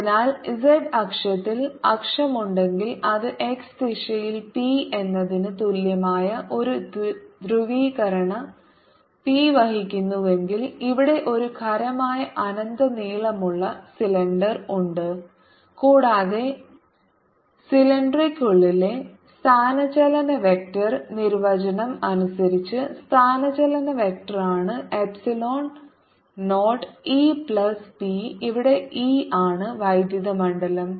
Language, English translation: Malayalam, so here's a solid, infinitely long cylinder on if there is axis on the z axis and it carries a polarization p which is equal to p naught in the x direction and the displacement vector inside the dielectric is, by definition, the displacement vector is epsilon zero, e plus p, where e is the electric field